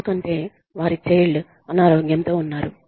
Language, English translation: Telugu, Because, their child is sick